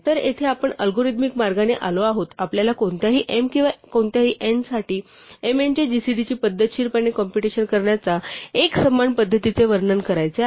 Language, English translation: Marathi, So, this is where we come to the algorithmic way, we want to describe the uniform way of systematically computing gcd of m n for any m or any n